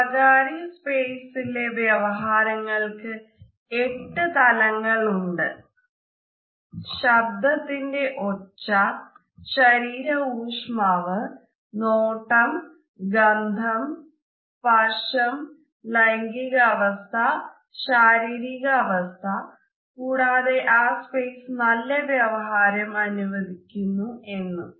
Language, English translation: Malayalam, Personal space interactions are actually 8 dimensional; there is voice volume: what is up, body heat, eye contact, smell, touching, gender position, body position and whether the space encourages positive interaction